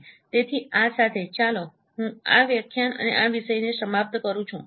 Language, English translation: Gujarati, So with this, let me conclude this lecture and this topic